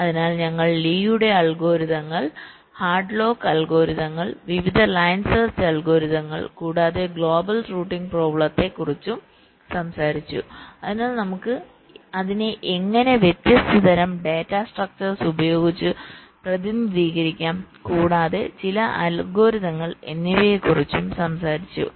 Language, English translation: Malayalam, so we talked about the algorithms like lease algorithms, headlocks algorithms, the various line search algorithms, and also talked about the global routing problem, so how we can represent it, the different kind of data structures and also some of the algorithms that are used